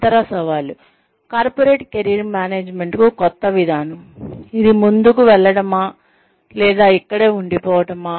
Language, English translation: Telugu, The other challenges, is the new approach to Corporate Career Management, likely to be a passing fad, or is it, here to stay